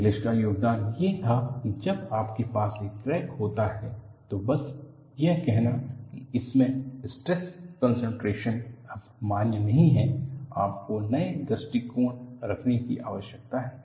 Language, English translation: Hindi, The contribution of ingles’ was, when you have a crack, simply saying it has stress concentration no longer valid; you need to have new approaches